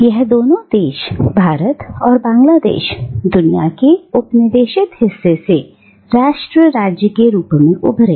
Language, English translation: Hindi, And these two countries, India and Bangladesh, emerged as nation states from the once colonised part of the globe